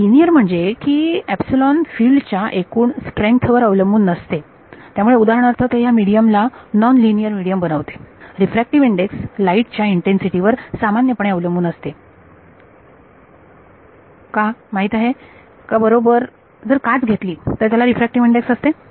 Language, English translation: Marathi, So, linear means that epsilon does not depend on the strength of the field itself that would make it a nonlinear medium for example, does the refractive index depends on the intensity of light in general know right if I take a glass it has a refractive index